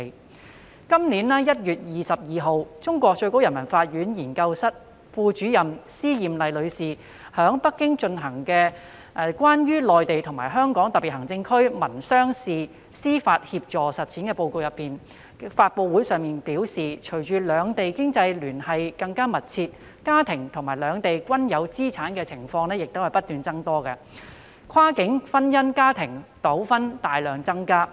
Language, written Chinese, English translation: Cantonese, 在今年1月22日，內地最高人民法院研究室副主任司艷麗女士於在北京舉行的《關於內地與香港特別行政區民商事司法協助實踐的報告》發布會上表示，隨着兩地經濟聯繫更密切，市民在兩地均有資產的情況不斷增多，跨境婚姻家庭糾紛大量增加。, As Ms SI Yanli Deputy Director of the Research Office of the Supreme Peoples Court of China said at the press conference held on 22 January this year on the Report relating to the implementation of mutual legal assistance in civil and commercial matters between the Mainland and the HKSAR with a closer economic tie between Hong Kong and the Mainland more and more families had properties in both places and family disputes in cross - boundary marriages have increased drastically